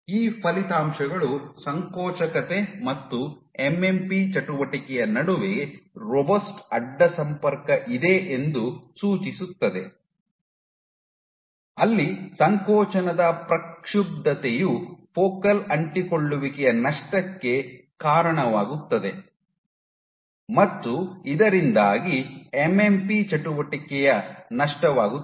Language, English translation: Kannada, So, you have these results suggest that there is a robust cross talk between contractility and MMP activity, where perturbation of contractility leads to loss of focal adhesions thereby leading to loss of MMP activity